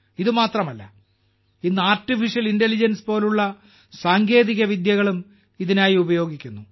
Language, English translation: Malayalam, Not only that, today a technology like Artificial Intelligence is also being used for this